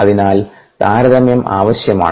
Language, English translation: Malayalam, so you need comparison